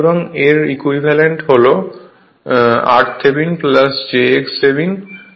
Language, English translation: Bengali, So, its equivalent is r Thevenin plus j x Thevenin right